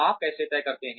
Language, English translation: Hindi, How do you decide